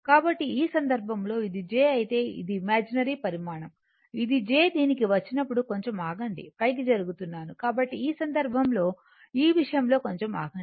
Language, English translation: Telugu, So, in that case if this is j this is your we call it is imaginary this is j, when you come to this just just ah just hold on little bit let me move upward , right